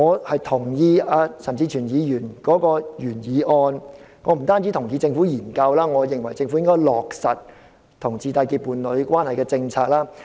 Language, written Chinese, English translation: Cantonese, 我同意陳志全議員的原議案，我不單同意政府進行研究，我也認為政府應該落實讓同志締結伴侶關係的政策。, I agree with Mr CHAN Chi - chuens original motion . I do not only agree that the Government should conduct a study I also consider that the Government should implement policies which allow homosexual couples to enter into domestic partnership